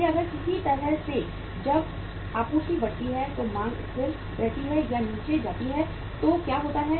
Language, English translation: Hindi, So if in any way when the supply goes up, demand remains stable or goes down then what happens